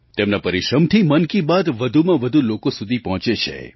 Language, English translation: Gujarati, It is due to their hard work that Mann Ki Baat reaches maximum number of people